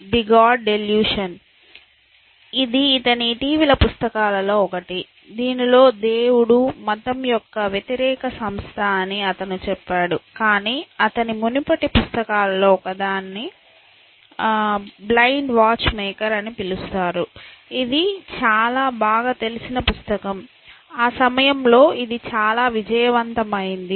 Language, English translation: Telugu, The god delusion, that is one of his most recent books I think, in which he says that he is kind of anti institution of religion, but any way his one of the earlier books was called the blind watch maker, it was quite a well known book, it quite a hit in that time